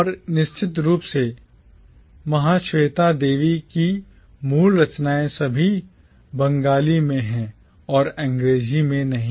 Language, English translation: Hindi, And the original works of Mahasweta Devi of course are all in Bengali and not in English